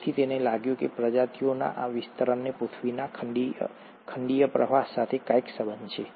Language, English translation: Gujarati, So he felt that this distribution of species has got something to do with the continental drift of the earth itself